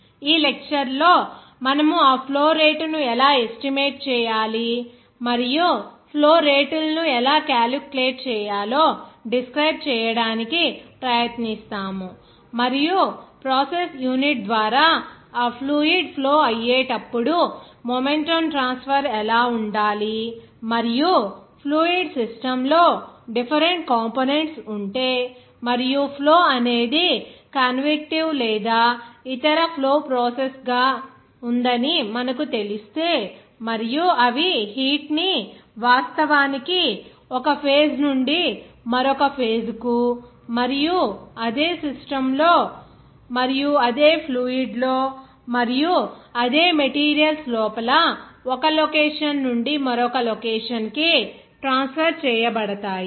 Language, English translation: Telugu, In this lecture, we will try to describe that how to estimate that flow rate and also how to calculate the flow rate and also whenever that fluid will be flowing through the process unit, what should be the momentum transfer and also if there are different components present in the fluid system and if you know that flow is in a certain manner like convictive or other flow processes and they are how heat is being actually transferred from one phase to another phase and also from one location to another location within the same system and within the same liquid or within the same you know that materials